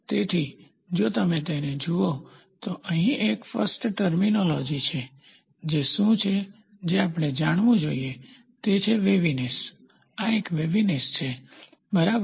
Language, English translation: Gujarati, So, if you look at it, so here is what is the first terminology which we have to know is waviness, this is a waviness, ok